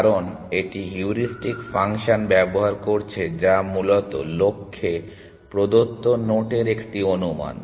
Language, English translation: Bengali, Because, it is using the heuristic function which is an estimate of given note to the goal essentially